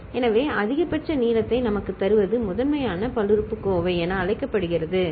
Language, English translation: Tamil, So, the one that gives us the maximal length are called, is called primitive polynomial, ok